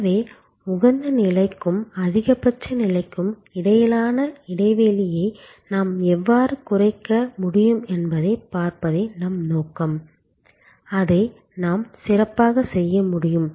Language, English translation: Tamil, So, our aim is to see how we can reduce this gap between the optimal level and the maximum level, the more we can do that better it is